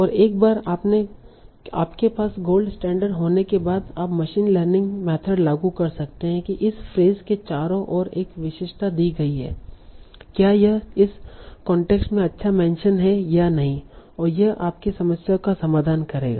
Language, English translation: Hindi, And once you're the gold standard, you can apply a machine learning method to say which given a feature around this phrase, is it a good mention in this context or not